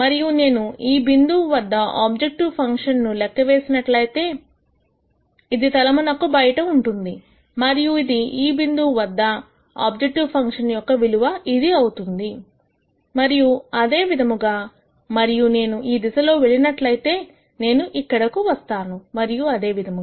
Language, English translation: Telugu, And if I compute the objective function at this point it is going to be outside the plane this is going to be the value of the objective function at this point and so on and if I go this direction I might come here and so on